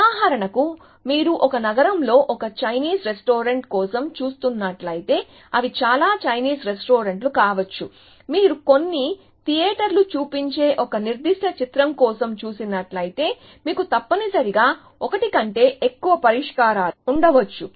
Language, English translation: Telugu, So, for example, if you are looking for a Chinese restaurant in a city, they may be many Chinese restaurants, if you are looking for a particular film, which is showing in some theater, you may have more than one solution essentially